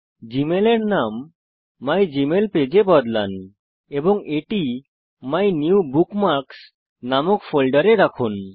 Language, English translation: Bengali, Lets change the name of gmail to mygmailpage and store it in a new folder named MyNewBookmarks